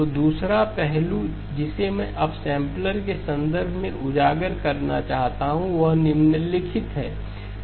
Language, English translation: Hindi, So the second aspect that I want to highlight with in terms of the upsampler is the following